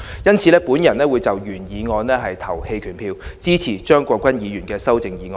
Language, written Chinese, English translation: Cantonese, 因此，我會就原議案投棄權票，支持張國鈞議員的修正案。, Therefore I will abstain from voting on the original motion and support the amendment proposed by Mr CHEUNG Kwok - kwan